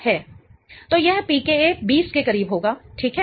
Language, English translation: Hindi, So, this PK will be close to 20, right